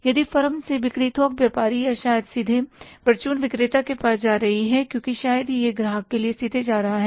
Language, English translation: Hindi, If from the firm the sales are going to the wholesaler or maybe directly to the retailer because hardly it is going directly to the customer, even if it is directly going to the customer